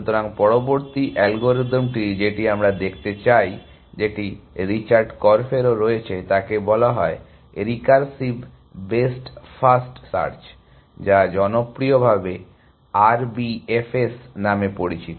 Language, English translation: Bengali, So, the next algorithm that we want to look at, which is also by Richard Korf is called recursive best first search, popularly known as RBFS